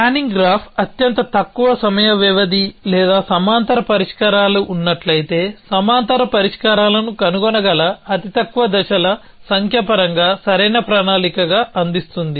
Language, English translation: Telugu, So, the planning graph gives as a optimal plan in terms of the most the shortest times span or the shortest number of the steps in which parallel solutions can be found if there is a parallels solution